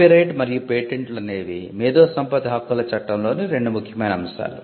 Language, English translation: Telugu, Copyright and patent are 2 branches of law under intellectual property rights